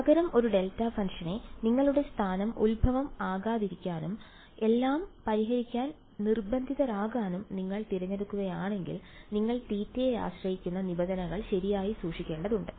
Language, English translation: Malayalam, Instead if you are chosen your location of a delta function to not be the origin and insisted on solving everything; you would have had to keep the theta dependent terms right